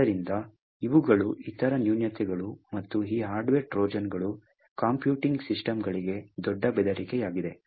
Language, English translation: Kannada, So, these are other flaws and these hardware Trojans are big threat to computing systems